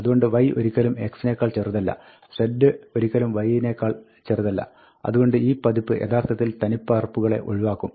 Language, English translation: Malayalam, So, z is also never smaller than x, because y itself is never smaller than x, and this version will actually eliminate duplicates